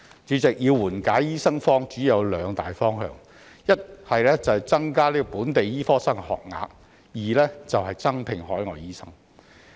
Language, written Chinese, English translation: Cantonese, 主席，要緩解醫生荒主要有兩大方向：一是增加本地醫科生學額；二是增聘海外醫生。, President there are two major directions in alleviating the shortage of doctors . First increasing the number of places for local medical students; and second recruiting more overseas doctors